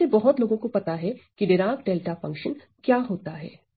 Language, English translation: Hindi, Well we all know most of us we know what is Dirac delta function